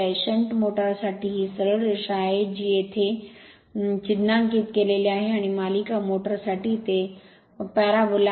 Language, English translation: Marathi, For shunt motor this is straight line right this is marked it here, and for series motor it is parabola right